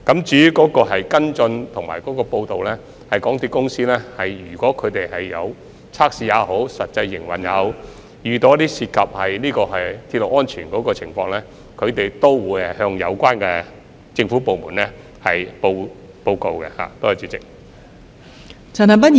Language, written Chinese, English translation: Cantonese, 至於跟進及匯報，如果港鐵公司在測試或實際營運時遇到涉及鐵路安全的情況，港鐵公司也會向有關政府部門報告。, As for follow - up and reporting if MTRCL comes across cases involving railway safety during testing or actual operation MTRCL will also report such cases to the relevant government departments